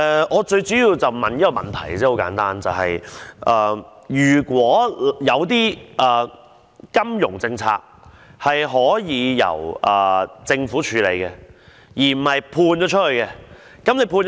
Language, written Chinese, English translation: Cantonese, 我想問一個很簡單問題，就是金融政策是否可以由政府處理，而不是外判？, I wish to ask a simple question . That is should financial policies be handled by the Government instead of outsourcing them?